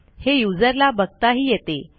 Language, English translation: Marathi, It is visible to the user